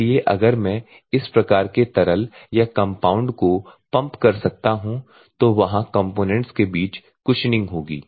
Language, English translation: Hindi, So if I can I am pumping this type of liquid or the compound what will happen there will be always there it will be a cushioning between the components